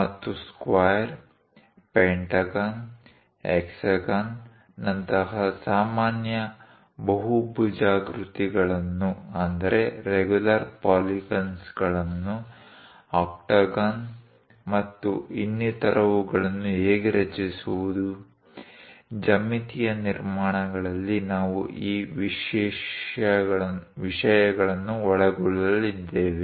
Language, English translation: Kannada, And how to construct regular polygons like square, pentagon, hexagon and so on octagon and so on things; these are the things what we are going to cover in geometric constructions